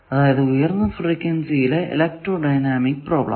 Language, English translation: Malayalam, Obviously, this is a dynamic problem, electro dynamic problem at higher frequency